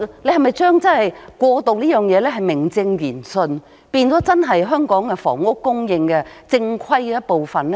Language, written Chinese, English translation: Cantonese, 你是否想把"過渡房屋"名正言順地變成香港房屋正規供應的一部分呢？, Do you want to formally turn transitional housing into part of the regular housing supply for Hong Kong?